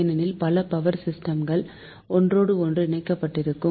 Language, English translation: Tamil, right, because many power system they are interconnected together